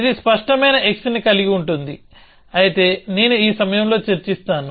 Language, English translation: Telugu, So, it also include clear x, but as I will discuss in the moment